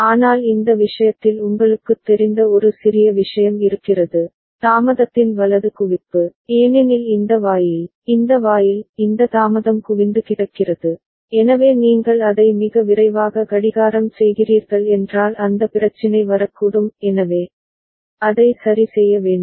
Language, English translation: Tamil, But remember in this case there is a small you know, accumulation of delay right, because this gate, this gate – these delay get accumulated, so that issue may come up if you are clocking it too fast right; so, that need to be taken care of ok